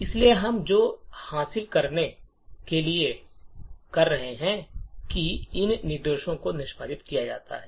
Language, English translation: Hindi, Therefore, what we would achieve is that these two instructions are executed